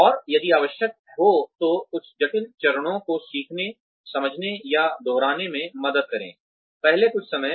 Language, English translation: Hindi, And, if required, then help the learner, understand or repeat some of the complicated steps, the first few times